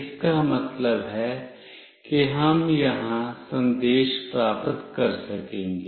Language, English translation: Hindi, It means we will be able to receive message here